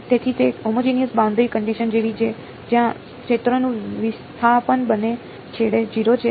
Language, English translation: Gujarati, So, it is like a homogeneous boundary condition where the field is displacement is 0 at both ends